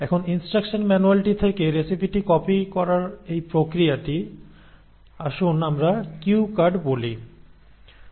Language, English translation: Bengali, Now this process of copying the recipe from the instruction manual, let us say into cue cards